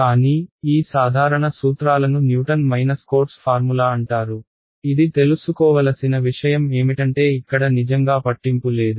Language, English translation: Telugu, But, these general set of principles they are called Newton Cotes formula ok, this is something to know does not really matter over here